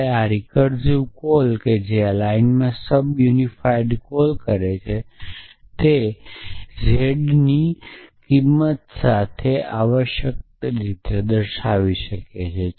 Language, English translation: Gujarati, So, we so that recursive call that sub unify call in this line here would be with the value of z with z and feet of z essentially